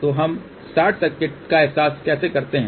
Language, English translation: Hindi, So, how do we realize the short circuit